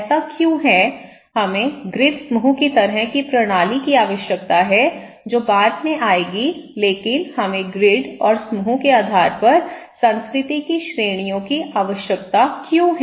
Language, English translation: Hindi, Why it is so, why we need to have grid group kind of system which will come later but why we need categories the culture based on grid and group